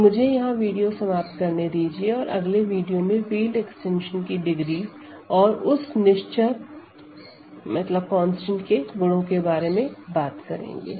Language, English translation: Hindi, So, let me stop the video here and the next video we are going to talk about degree of field extensions and do further properties of that invariant